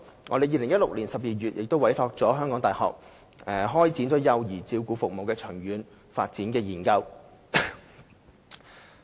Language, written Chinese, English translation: Cantonese, 我們在2016年12月委託香港大學開展幼兒照顧服務研究。, In December 2016 we commissioned the University of Hong Kong to commence a study on child care services